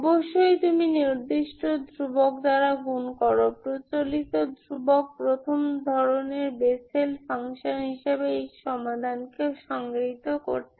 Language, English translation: Bengali, Of course you multiply certain constant, conventional constant to define a, this solution as a Bessel function of first kind